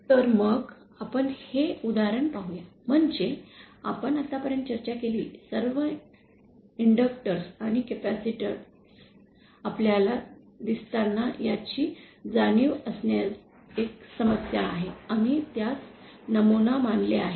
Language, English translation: Marathi, So, let us see this example, so one problem in realising you see all the inductors and capacitors that we have discussed so far, we have considered them to be ideal